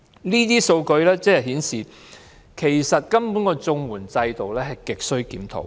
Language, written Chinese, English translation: Cantonese, 這些數據顯示綜援制度亟需檢討。, This shows that there is an urgent need to review the CSSA system